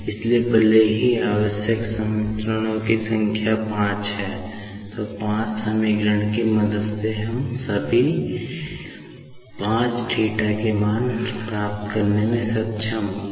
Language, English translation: Hindi, So, although the minimum number of equations required is 5, with the help of 5 equations, we will not be able to find out all five θ values